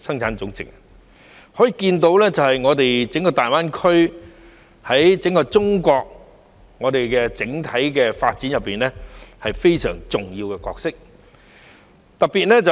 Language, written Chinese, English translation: Cantonese, 由此可見，大灣區在整個中國的整體發展中扮演非常重要的角色。, This shows that GBA plays a very important role in the overall development of China as a whole